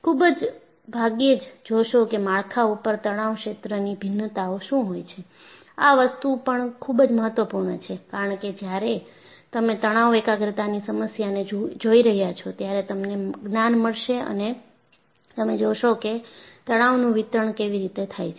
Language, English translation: Gujarati, You very rarely look at what is the variation of stress feel over the structure; that is also very importantbecause when you are looking at a stress concentration problem, you will get a knowledge only when you look at how there is distribution